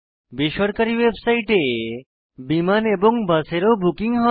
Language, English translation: Bengali, The private website help book flight and also buses